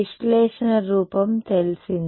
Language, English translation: Telugu, Analytical form is known